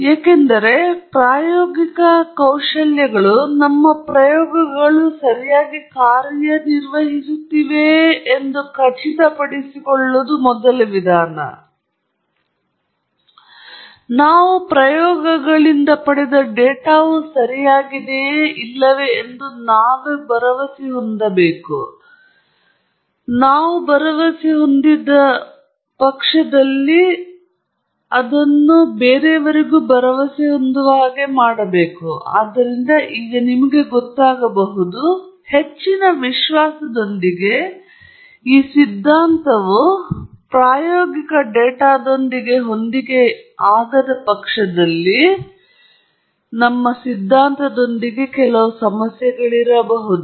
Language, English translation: Kannada, Because, experimental skills are the kinds of skills that we should have to ensure that our experiments are running correctly, for us to feel confident that the data that we have obtained from the experiments are correct; and therefore, we can now, you know, with great confidence we can say that if the theory does not match that experimental data, then there is some issue with the theory